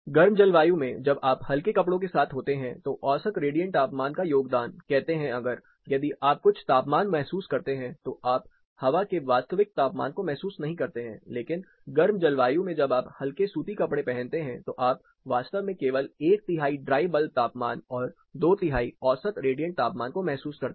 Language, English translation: Hindi, In warm climate when you are with lighter clothing the contribution of mean radiant temperature say if, you are perceiving some temperature you are not going to actually perceive the air temperature, but in a warm climate when you are with light cotton wear then what you actually perceive is only one third of dry bulb temperature and two third of mean radiant temperature